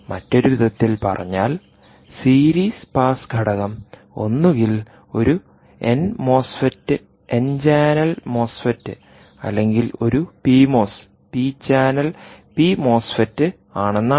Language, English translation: Malayalam, in other words, all that means is the series pass element is either a an n mosfet or a p channel n channel mosfet or a p channel mosfet